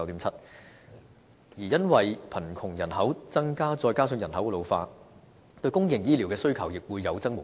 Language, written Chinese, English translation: Cantonese, 至於因為貧窮人口增加再加上人口老化，對公營醫療的需求亦會有增無減。, Furthermore as a result of an increase in poverty population coupled with population ageing the demand for public health care will only increase